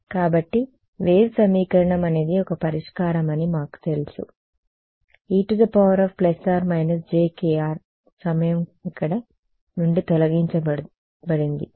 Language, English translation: Telugu, So, we know for the wave equation is a solution is exponentially to the plus minus j k r time has been dropped out of here